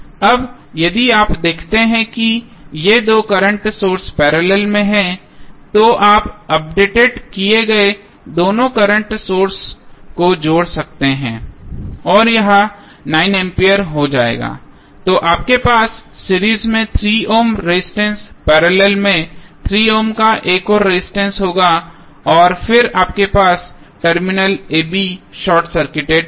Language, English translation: Hindi, Now, if you see these two current sources are in parallel so updated current source you can add both of them and it will become 9 ampere then you will have another resistance 3 ohm in parallel 3 ohm resistance in series and then you have short circuited the terminal a, b